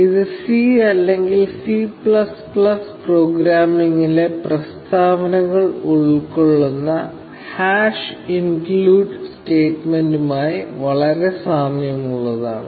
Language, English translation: Malayalam, This is very similar to the hash include statements in C or C++ programming